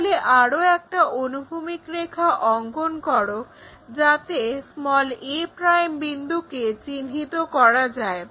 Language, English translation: Bengali, So, draw another horizontal line to locate a' point